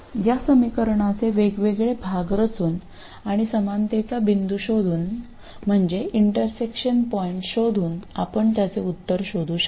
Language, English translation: Marathi, So, by plotting different parts of the equation and finding the point of equality, that is finding the point of intersection, you can find the solution